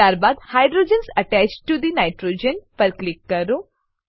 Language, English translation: Gujarati, Then click on the hydrogens attached to the nitrogen